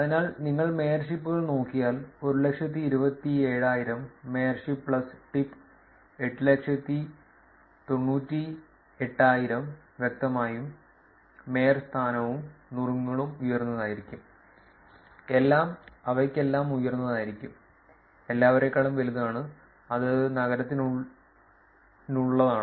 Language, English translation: Malayalam, So, if you look at mayorships 127,000; mayorship plus tip 898,000; obviously, mayorship plus tip will be higher, all will be higher for all of them, bigger than all of them and that is for the city